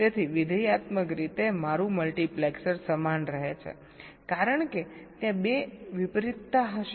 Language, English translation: Gujarati, so functionally my multiplexer remains the same because there will be two inversions